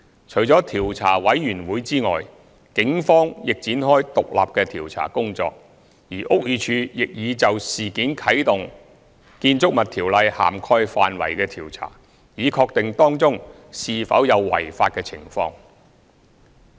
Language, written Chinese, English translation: Cantonese, 除了調查委員會外，警方亦已展開獨立的調查工作，而屋宇署亦已就事件啟動《建築物條例》涵蓋範圍的調查，以確定當中是否有違法的情況。, Apart from the Commission the Police have independently initiated investigations while BD has launched an investigation into the incident under the scope of the Buildings Ordinance to ascertain if any offences have been committed